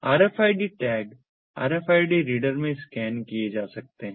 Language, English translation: Hindi, rfid ah tags can be scanned in the rfid ah readers